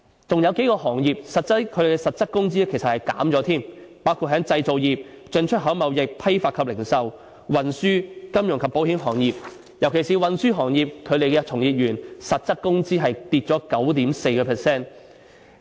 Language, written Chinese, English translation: Cantonese, 還有數個行業的實質工資其實更減少了，包括製造業、進出口貿易、批發及零售、運輸、金融及保險行業，尤其是運輸行業，其從業員的實質工資下跌了 9.4%。, The real wage rates of a few occupations have actually dropped including the manufacturing industry import and export trade wholesale and retail trade transportation industry financial and insurance industries . In transportation industry in particular the real wage rate of workers has dropped by 9.4 %